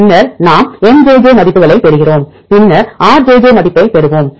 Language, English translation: Tamil, Then we get the values Mjj then we will get the value of Rij we can get that